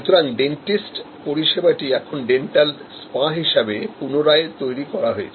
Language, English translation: Bengali, So, a dentist service is now recreated by the way as a dental spa